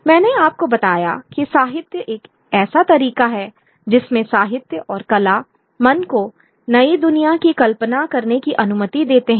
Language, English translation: Hindi, I told you that the literature is one way in which literature and art allows the mind to imagine a newer world